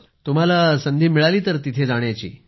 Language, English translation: Marathi, So you got an opportunity to go there